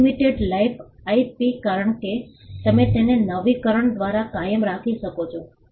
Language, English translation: Gujarati, Unlimited life IP since you can keep it forever by renewing it